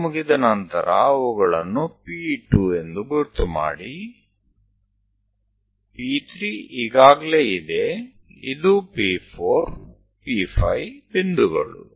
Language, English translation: Kannada, Once it is done, label them P 2, P 3 is already there, this is P 4, P 5 points